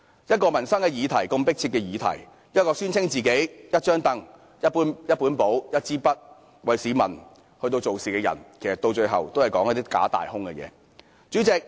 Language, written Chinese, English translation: Cantonese, 一個如此迫切的民生議題，一個聲稱會用"一張櫈、一本簿、一支筆"為市民做事的人，到了最後也不過是說些"假大空"的話。, In dealing with a pressing livelihood issue the person who claims to serve the people by carrying a stool a notebook and a pen ends up making some deceptive vague and shallow remarks